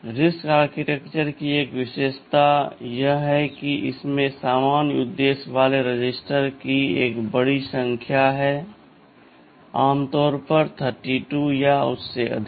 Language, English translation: Hindi, Registers oneOne characteristic of RISC architecture is that there is a very large number of general purpose registers, typically 32 or more